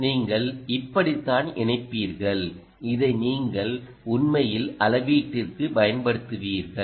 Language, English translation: Tamil, this is how you would attach and this is how you would actually use it for measurement